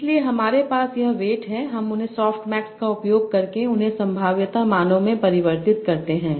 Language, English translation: Hindi, So I have these weights, I use a soft mix to convert them to probability values